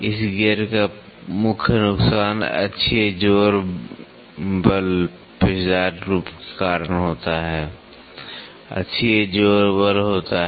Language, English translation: Hindi, The main disadvantage of this gear is the axial thrust force caused by the helical form, there be axial thrust force